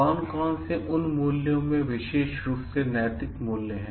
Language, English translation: Hindi, Which of those values are specifically ethical values